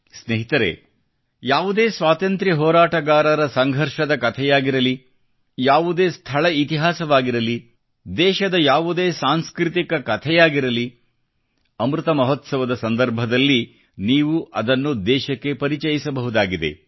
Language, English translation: Kannada, Friends, be it the struggle saga of a freedom fighter; be it the history of a place or any cultural story from the country, you can bring it to the fore during Amrit Mahotsav; you can become a means to connect the countrymen with it